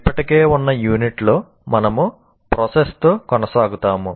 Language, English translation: Telugu, Now in the present unit, we'll continue with the process